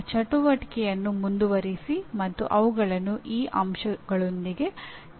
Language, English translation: Kannada, Continue that activity and tag them with these elements